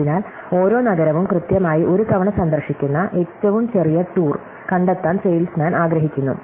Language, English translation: Malayalam, So, the salesman wants to find the shortest tour that visits each city exactly once